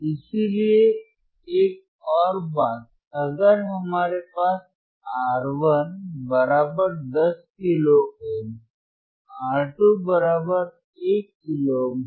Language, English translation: Hindi, So, another point is, here we have R 1 equals to 10 kilo ohm, R 2 equals to 1 kilo ohm, right